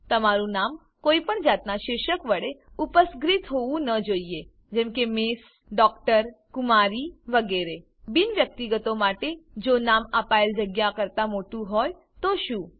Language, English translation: Gujarati, Your name should not be prefixed with any title like M/s, Dr., Kumari, etc For Non Individuals, what if the name is longer than the space provided